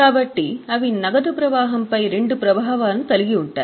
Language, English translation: Telugu, So, they will have two impacts on cash flow